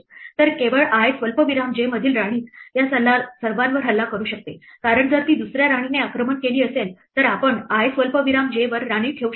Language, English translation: Marathi, So, only the queen at i comma j can attack all of these because, if it was under attacked by another queen we could not placed a queen at i comma j